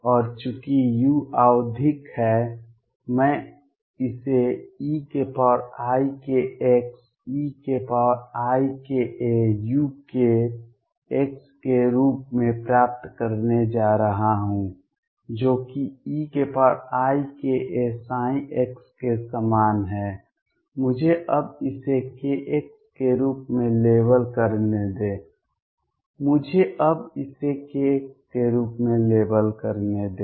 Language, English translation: Hindi, And since u is periodic I am going to have this as e raise to i k a e raise to i k x u k x which is same as e raise to i k a psi, let me now label it as k x let me now label this as k x